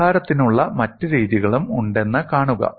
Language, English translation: Malayalam, See there are also other methods of solution